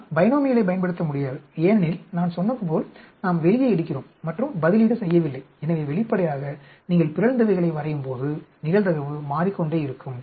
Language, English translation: Tamil, We cannot use binomial as I said we are taking out and we are not replacing; so obviously, the probability may keep changing as you keep drawing mutants